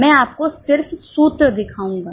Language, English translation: Hindi, I'll just show you the formulas